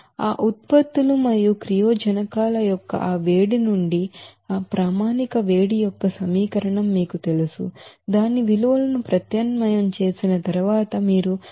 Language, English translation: Telugu, Now as per that you know equation of that standard heat of reaction from that heat of formation of that products and reactants, you can get this value of 6588